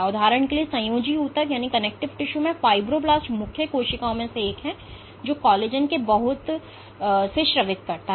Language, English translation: Hindi, Fibroblast for example, in connective tissue are one of the main cells which secrete lot of collagen ok